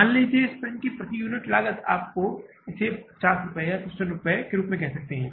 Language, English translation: Hindi, Say the material cost of per unit of this pen is you can call it as 50 rupees or 55 rupees